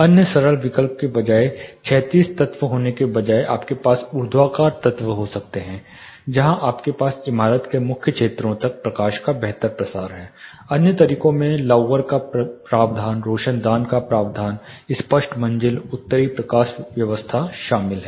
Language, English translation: Hindi, The other simple option is instead of having linear horizontal you know elements, you can have vertical where you have a better through of light far to the core areas of the building other ways include provision of louvers provision of skylights clear stories north lighting roof trusses